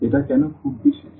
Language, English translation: Bengali, Why that is very special